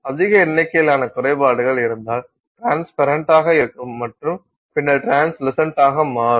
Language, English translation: Tamil, If you have large number of defects, then the material which was transparent and then later became translucent can now become opaque